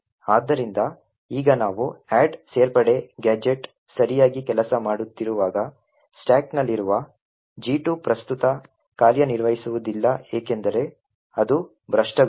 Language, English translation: Kannada, So now we see that while the add addition gadget has worked properly the gadget 2 present in the stack will not execute because it has got corrupted